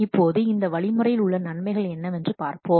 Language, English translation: Tamil, Now let's see what are the advantages of this approach